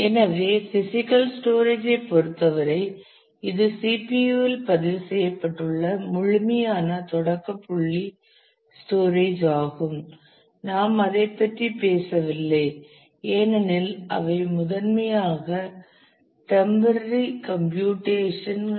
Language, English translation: Tamil, So, in terms of the physical storage certainly the absolute starting point of the storage is registered in the CPU; we are not talking about that because they are primarily meant for temporary computations